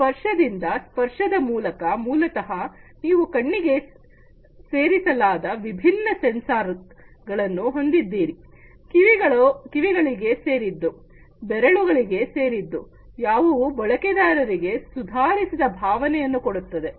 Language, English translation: Kannada, By touch, through touch, basically, you know, you have different sensors which are added to the eye, to the ears, to the fingers, which can give the user an improved feeling